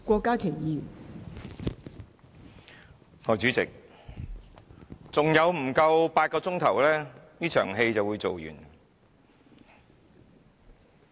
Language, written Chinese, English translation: Cantonese, 代理主席，還有不足8小時，這場戲便會演完。, Deputy Chairman in less than eight hours this show will be over